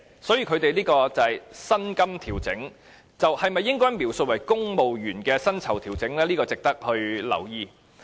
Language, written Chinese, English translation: Cantonese, 所以，他們的薪金調整應否描述為公務員的薪酬調整，這點值得留意。, Therefore it is noteworthy whether their pay adjustment should be described as civil service pay adjustment